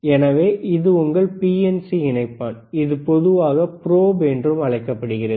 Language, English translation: Tamil, So, this is your BNC connector is called BNC connector, it is also called probe in general,